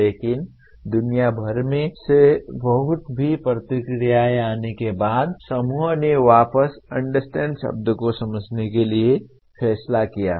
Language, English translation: Hindi, But after lot of feedback coming from all over the world, the group decided to come back to the word understand